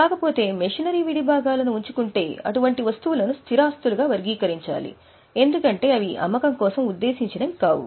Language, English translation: Telugu, However, if you are keeping machinery spares, then such items should be classified as fixed assets because they are not into for the purpose of selling